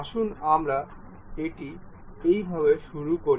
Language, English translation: Bengali, Let us begin it in this way